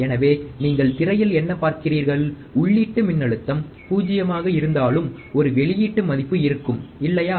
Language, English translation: Tamil, But what you will find is that even though the input voltage is 0, there will be an output